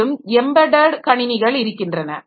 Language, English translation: Tamil, Then we have got embedded computers